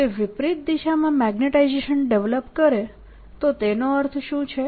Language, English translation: Gujarati, if it develops magnetization in the opposite direction, what does it mean